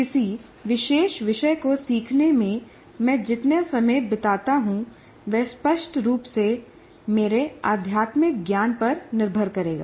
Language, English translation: Hindi, So the amount of time I spend on in learning a particular topic will obviously depend on my metacognitive knowledge